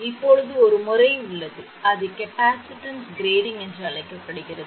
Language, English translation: Tamil, Now, that is why one method is there that is called capacitance grading